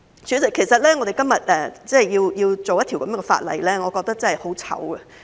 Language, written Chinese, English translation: Cantonese, 主席，其實我們今天要處理這樣的法案，令我感到很羞耻。, President it is a shame that we have to deal with such a bill today